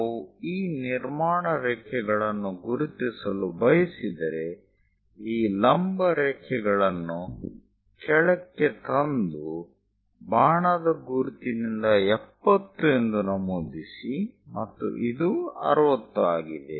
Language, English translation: Kannada, If we want to mark these construction lines, drop down these vertical lines and mark by arrows 70, and the other inclination is this is 60 degrees